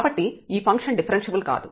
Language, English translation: Telugu, And hence the given function is not differentiable